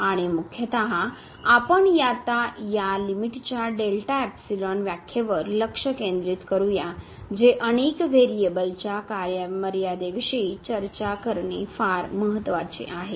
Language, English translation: Marathi, And mainly, we will now focus on this delta epsilon definition of the limit which is very important to discuss the limit for the functions of several variable